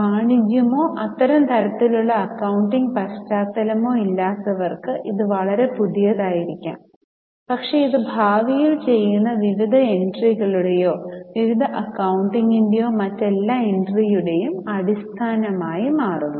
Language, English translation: Malayalam, For those who do not have any commerce or such type of accounting background, this may be very new, but this forms the basis of all other entry or various entries or various accounting which is done in future